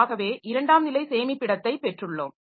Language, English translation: Tamil, So, these are called secondary storage